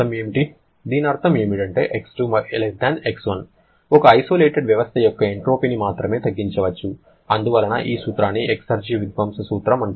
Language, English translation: Telugu, Your X2 will always be less than X1, that is entropy of an isolated system can only reduce or decrease and therefore this principle is known as the principle of exergy destruction